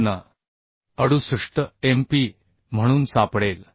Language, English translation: Marathi, 68 MPa here the value 59